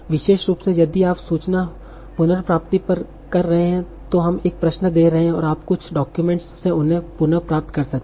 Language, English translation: Hindi, Especially if you are doing information retrieval you are giving a query and you are retrieving from some document